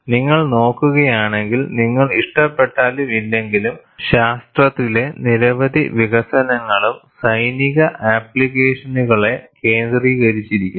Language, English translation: Malayalam, And if you also look at, any development in science, whether you like it or not, many developments were focused on military applications